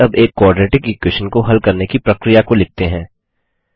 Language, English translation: Hindi, Let us now write the steps to solve a Quadratic Equation